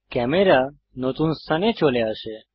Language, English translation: Bengali, The camera moves to the new location